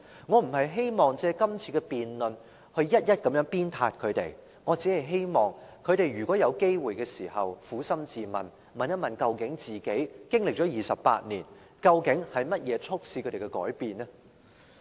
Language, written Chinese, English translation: Cantonese, 我不是希望藉今次的辯論一一鞭撻他們，我只是希望他們如果有機會時，能夠撫心自問，經歷了28年，究竟是甚麼促使他們改變呢？, I do not wish to take the opportunity of this debate to lash out at each and every one of them . I am only asking them to granting the opportunity examine their conscience and ask themselves after these 28 years what actually caused the change in their stances